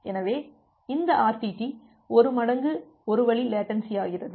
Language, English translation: Tamil, So, this RTT becomes twice the one way latency